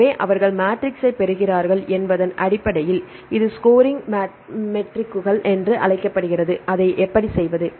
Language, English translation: Tamil, So, based on that they derive the matrix this is called the scoring matrices and how to do that say